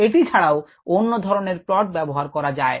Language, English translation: Bengali, other types of plots can also be used